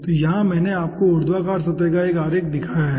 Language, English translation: Hindi, so here i have given you 1 schematic of the vertical surface